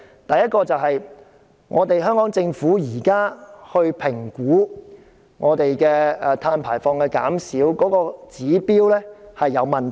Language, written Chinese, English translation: Cantonese, 第一，香港政府現時評估碳排放減少的指標存有問題。, Firstly there are some problems with the indicator currently adopted by the Hong Kong Government in evaluating the reduction of carbon emissions